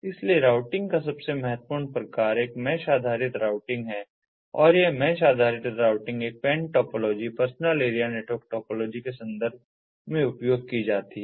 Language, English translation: Hindi, so the most important type of routing is a mesh based routing and this mesh based routing is used in the context of a pan topology, personal area network topology